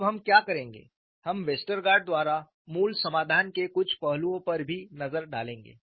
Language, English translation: Hindi, Now, what we will do is, we will also have a look at some aspects of the basic solution by Westergaard